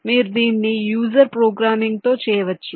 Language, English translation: Telugu, you can do it with user programming